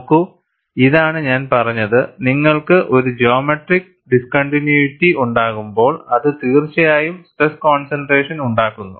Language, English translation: Malayalam, See, this is what I had said, when you have a geometric discontinuity, it definitely produces stress concentration